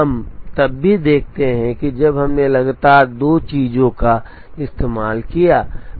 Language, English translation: Hindi, We also look at when we used two things consistently